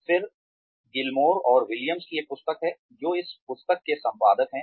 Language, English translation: Hindi, Then, there is a book by, Gilmore and Williams, who are the editors of this book